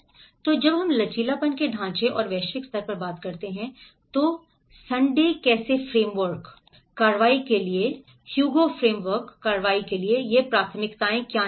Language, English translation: Hindi, So, when we talk about the resilience frameworks and that at a global level, how the Sundae framework, how the Hugo framework for action, what are these priorities for action